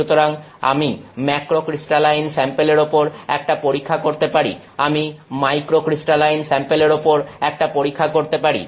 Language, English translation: Bengali, So, I can do a test on a macrocrystalline sample; I can do a test on a microcrystal sample